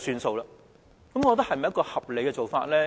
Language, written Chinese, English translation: Cantonese, 這是否一個合理的做法呢？, Is this a reasonable course of action?